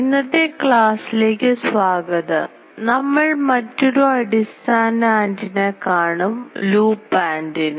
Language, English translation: Malayalam, Welcome to today's lecture today will see another basic antenna which is a loop antenna